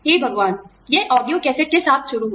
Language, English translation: Hindi, My god, it started with audio cassettes